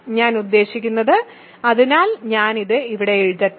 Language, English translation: Malayalam, So, what I mean is so let me write that here